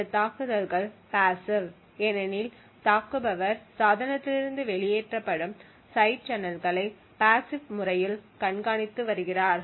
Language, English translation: Tamil, So, these attacks are passive because the attacker is passively monitoring the side channels that are emitted from the device